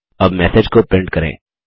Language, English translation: Hindi, Now, lets print a message